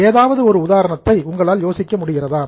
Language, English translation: Tamil, Can you think of any example